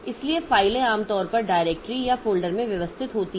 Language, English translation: Hindi, So, files are usually organized into directories or folders